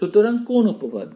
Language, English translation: Bengali, So which theorem